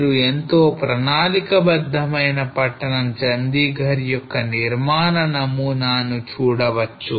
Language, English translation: Telugu, You can see the construction pattern here well planned city of Chandigarh